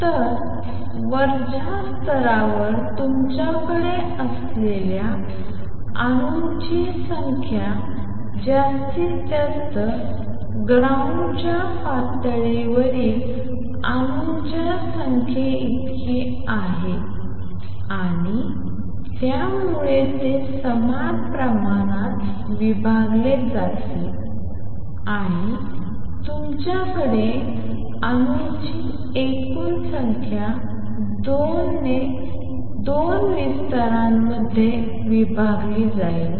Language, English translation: Marathi, So, maximum number of atoms that you can have in the upper level is equal to the number of atoms in the ground level and that is so they will be divided equally and you will have total number of atoms divided by 2 in the 2 levels